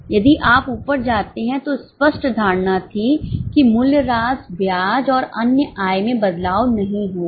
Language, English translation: Hindi, If you go up there was a clear assumption that depreciation, interest and other income will not change